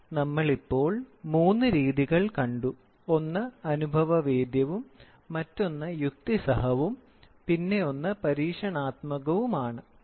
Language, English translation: Malayalam, So, we have seen three now; one is empirical, the other one is rational and the experimental one